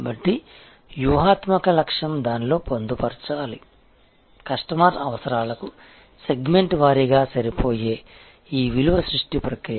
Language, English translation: Telugu, So, the strategic objective should embed in itself, this value creation process which matches the customer requirement segment wise